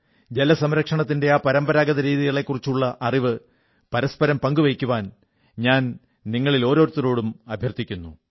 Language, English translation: Malayalam, I urge all of you to share these traditional methods of water conservation